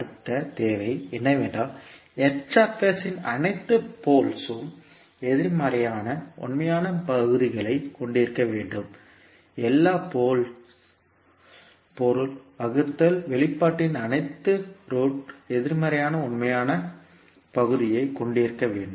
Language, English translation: Tamil, Next requirement is that all poles of Hs must have negative real parts, all poles means, all roots of the denominator expression must have negative real part